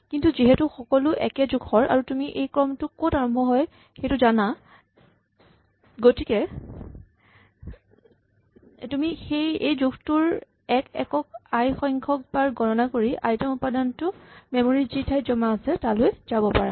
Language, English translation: Assamese, But since everything is of a uniform size and you know where this starts, we know where the sequence starts you can just compute i times this size of one unit and quickly go and one shot to the location in the memory where the ith element is saved